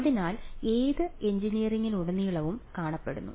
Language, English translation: Malayalam, So, it is found throughout engineering